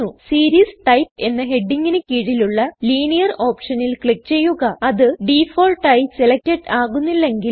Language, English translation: Malayalam, Now click on the Linear option, under the heading Series type, if it is not selected by default